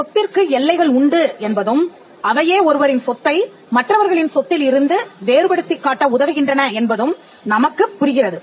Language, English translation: Tamil, We also understand property as something that has boundaries, which makes it possible for you to distinguish your property from another person’s property